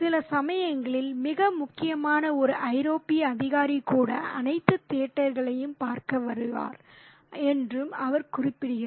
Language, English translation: Tamil, And he also mentions that sometimes even the even a very important European official would come by to look at all the theatre